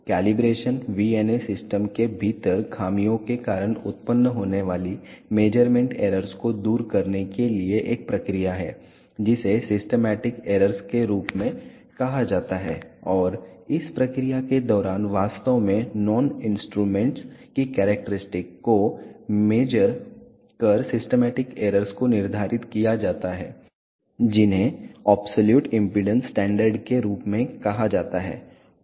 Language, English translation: Hindi, Calibration is a process to remove the measurement errors arising due to the imperfections within the VNA system which are called as systematic errors, and during the process the systematic errors are actually quantified by measuring characteristics of known devices which are called as absolute impedance standards